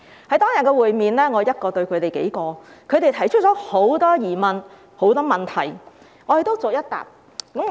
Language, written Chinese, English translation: Cantonese, 在當天的會面中，我一人對他們數人，他們提出很多疑問和問題，我都逐一回答。, During the meeting it was I alone versus several of them and they raised many queries and questions which I answered one by one